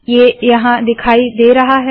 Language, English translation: Hindi, And this has appeared here